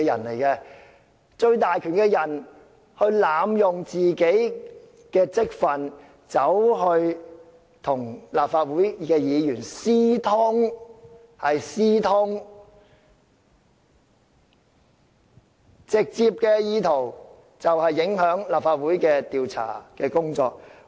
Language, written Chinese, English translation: Cantonese, 擁有最大權力的人濫用本身的職份，與立法會議員私通，是"私通"，直接的意圖是影響立法會的調查工作。, As the person with most powers LEUNG had abused his public office and colluded with a Member of the Legislative Council―I stress again they have colluded―with the direct intention of influencing the inquiry of the Legislative Council